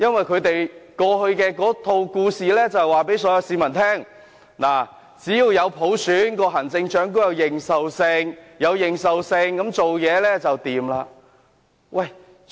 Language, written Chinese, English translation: Cantonese, 他們過去一直告訴市民，只有落實普選，行政長官才有認受性，施政才會暢順。, They have been telling people that the implementation of universal suffrage is the only way to let the Chief Executive command legitimacy and make governance smooth